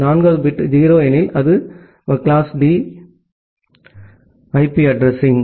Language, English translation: Tamil, If the fourth bit is 0, then it is class D IP address